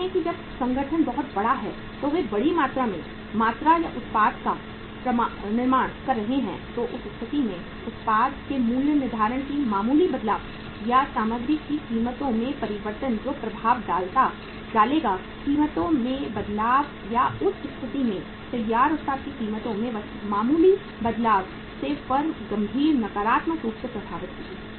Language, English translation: Hindi, See when the organization is very large they are manufacturing the quantity or the product in a large quantity in the bulk in that case a minor change in the pricing of the product because of the pricing or change in the prices of the material which will impact the change of the prices or the prices of the finished product in that case a minor change will affect the firm seriously, negatively